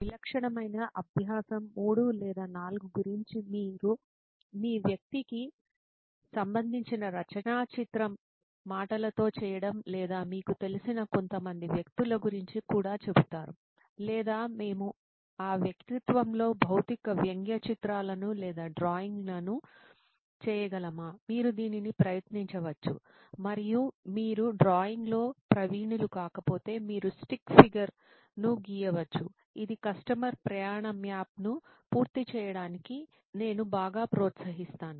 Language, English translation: Telugu, So that is the main intent, usually typically I would say about 3 to 4 persona is very likely that you will be looking at and not only one as I have suggested, that is the minimum bare minimum which is what I have suggested, but in typical practice it is about 3 or 4 that you will end up doing your caricature of in verbally or some people even people who are you know usually incline or can we make physical caricature or drawing of somebody with that persona, you can try that out and if you are not adept a drawing you can just draw stick figure which is I would highly encourage that to complete the customer journey map